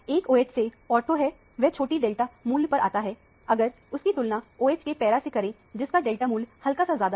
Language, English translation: Hindi, The one that is ortho to the OH will come at a lower delta value compared to the one para to the OH, which comes slightly at a higher delta value